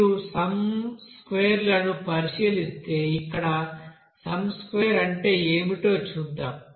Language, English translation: Telugu, So sum squares if you consider here sum squares, let us see what is the sum square are here